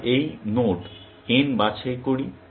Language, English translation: Bengali, Let us have picked this node n